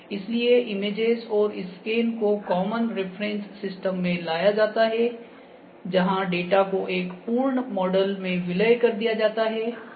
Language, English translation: Hindi, So, images and scans are brought into common reference system, where data is merged into a complete model ok